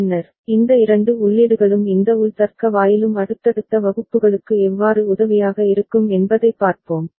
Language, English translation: Tamil, Later on, we will see how these two inputs and this internal logic gate will be helpful in subsequent classes